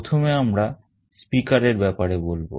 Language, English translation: Bengali, First let us talk about a speaker